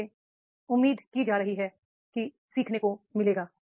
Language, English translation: Hindi, So that is the expected learning will be there